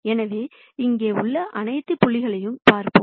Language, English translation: Tamil, So, we will look at all the points up to here